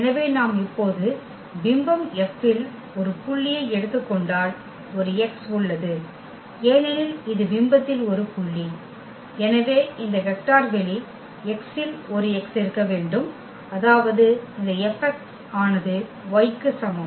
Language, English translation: Tamil, So, if we take a point in the image F now and there exists a X because this is a point in the image, so, there must exists a X in this vector space X such that this F x is equal to y